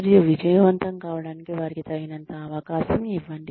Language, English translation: Telugu, And, give them enough opportunity, to succeed